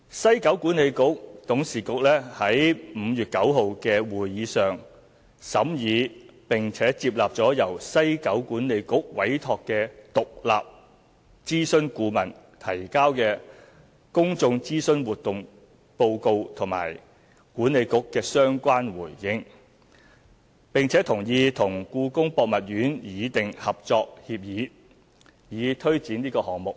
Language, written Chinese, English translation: Cantonese, 西九管理局董事局在5月9日的會議上審議並接納了由西九管理局委託的獨立諮詢顧問提交的公眾諮詢活動報告和西九管理局的相關回應，並同意與故宮博物院擬訂《合作協議》，以推展項目。, At the meeting on 9 May the Board of WKCDA examined and accepted the report on the public consultation exercise submitted by the independent consultant appointed by WKCDA and the responses from WKCDA . The WKCDA Board also agreed to take forward the project by signing the Collaborative Agreement with the Palace Museum